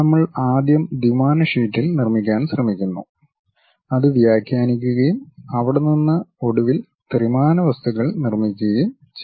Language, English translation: Malayalam, We first try to construct on two dimensional sheet, interpret that and from there finally, construct that 3D objects